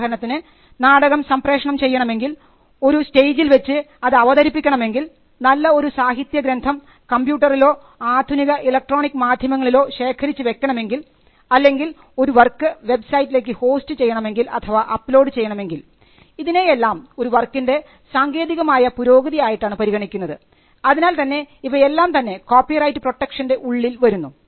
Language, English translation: Malayalam, For instance, broadcasting the play which happens on a stage or storing information about a literary work on a computer or electronic transmission or hosting the work on a website all these things are regarded as technological developments of an existing work they are also covered by copyright